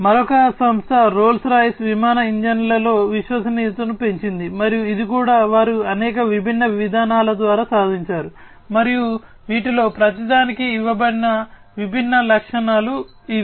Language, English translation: Telugu, Then another company Rolls Royce increased reliability in aircraft engines, and this also they have achieved through a number of different mechanisms, and these are the different features that have been given for each of them